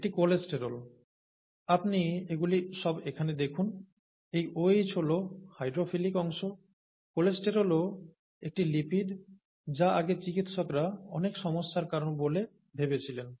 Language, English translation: Bengali, You see all this here, all this is the hydrophobic part, and this OH is the hydrophilic part, okay, and the cholesterol is also a lipid that doctors thought caused so many problems earlier